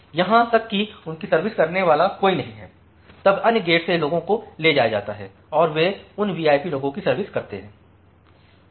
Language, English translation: Hindi, Even there is no one to serve them, no one to serve them then from other gates people are taken and they are serve those VIP peoples